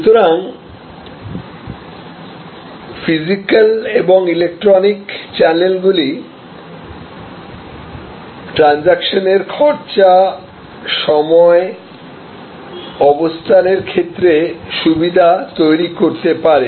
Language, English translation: Bengali, So, the physical and electronic channels may create advantages with respect to transaction cost, time, location and so on